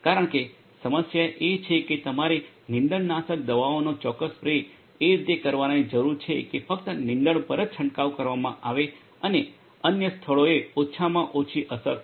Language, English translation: Gujarati, Because the problem is that you need to have precise spray of weedicides in such a way that only the weeds will be sprayed and the other places will be minimally affected right